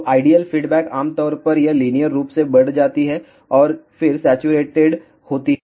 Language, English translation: Hindi, So, the ideal response is generally it increases linearly and then saturates